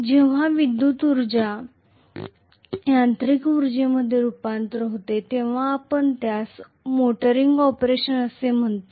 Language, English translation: Marathi, When electrical energy is converted into mechanical energy we call that as motoring operation